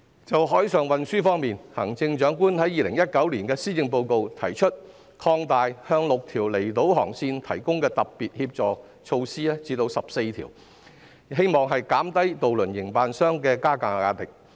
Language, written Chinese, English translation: Cantonese, 關於海上運輸，在2019年施政報告內，行政長官提出把向6條離島航線提供的特別協助措施擴大至14條，以期減低渡輪營辦商的加價壓力。, Regarding marine transportation the Chief Executive proposed in the 2019 Policy Address to extend the Special Helping Measures originally provided to six outlying island ferry routes to cover 14 routes with a view to reducing the pressure of fare increase on ferry operators